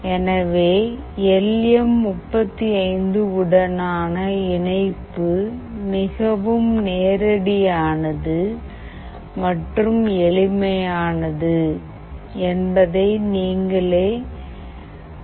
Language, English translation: Tamil, You can see that the connection with LM35 is fairly straightforward and fairly simple